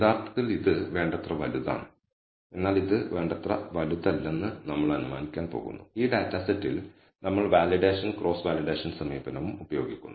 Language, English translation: Malayalam, Actually this is sufficiently large, but we are going to assume this is not large enough and we use the validation and cross validation approach on this data set